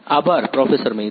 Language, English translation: Gujarati, Thank you Professor Maiti